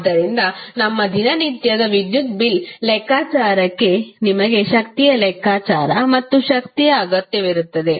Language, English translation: Kannada, So, that is why for our day to day electricity bill calculation you need calculation of power as well as energy